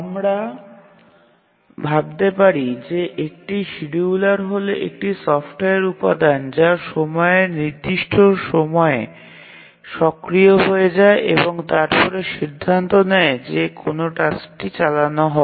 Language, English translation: Bengali, We can think of that a scheduler is a software component which becomes active at certain points of time and then decides which has to run next